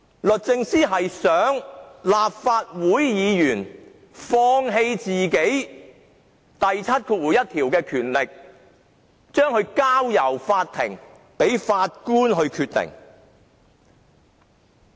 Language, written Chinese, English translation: Cantonese, 律政司想立法會議員放棄《條例》第71條賦予的權力，將問題交給法庭，由法官決定。, DoJ hopes Members will renounce the power conferred upon them by section 71 of the Ordinance and hand the matter over to the Court to be decided by the Judge